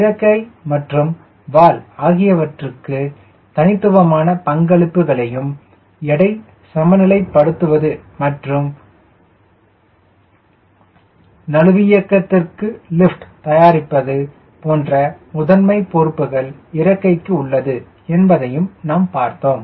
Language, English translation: Tamil, we also realize that there are distinct roles for wing and tail: wing, as a primary responsibility of producing lift to balance weight or live for maneuver